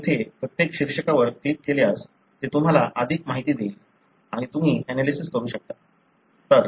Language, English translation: Marathi, So, if you click each one of the heading here, it will give you more information and you can analyse